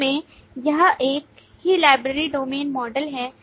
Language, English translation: Hindi, Finally, it is the same library domain model